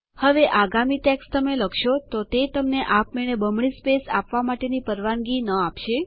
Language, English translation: Gujarati, The next text which you type doesnt allow you to have double spaces in between words automatically